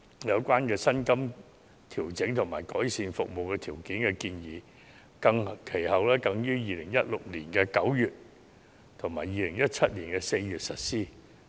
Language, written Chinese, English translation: Cantonese, 有關薪金調整和改善服務條件的建議，其後更於2016年9月及2017年4月實施。, The proposed pay adjustments and improvement in the conditions of service were later implemented in September 2016 and April 2017 ie